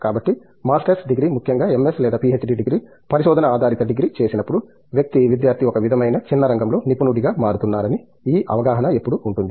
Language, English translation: Telugu, So, there is always this perception that when do a masters degree especially in MS or a PhD degree, Research based degree that we, that the person, the student is becoming a specialist in a sort of a narrow field